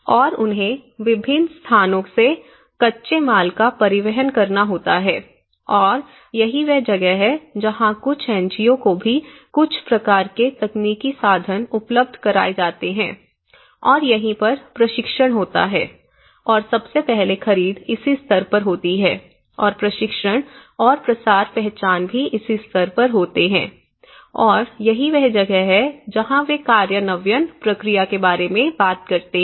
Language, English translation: Hindi, And they have to transport raw materials from different places, and that is where some NGOs also are provided some kind of technical means and this is where the training and so first of all procurement happens at this stage and identification happens at this stage and the training and dissemination and that is where they talk about the implementation process